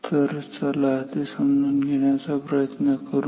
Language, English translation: Marathi, So, let us understand that